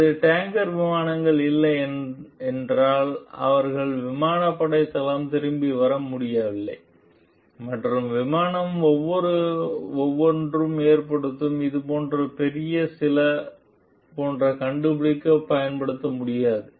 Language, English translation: Tamil, If it were not for the tanker planes they would not have been able to come back to the air force base, and use find like the huge some like which each of the plane cause